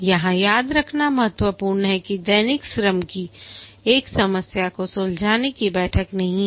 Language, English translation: Hindi, It is important to remember that the daily scrum is not a problem solving meeting